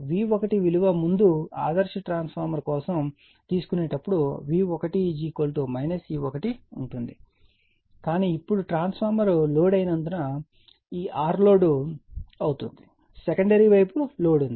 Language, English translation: Telugu, So, V 1 will be when you are taking that V 1 earlier for ideal transformer V 1 is equal to minus E 1 but now this R are the loaded because of the transformer is loaded, secondary side is loaded